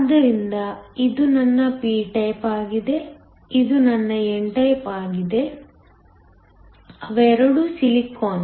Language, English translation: Kannada, So, this is my p type, it is my n type; they are both silicon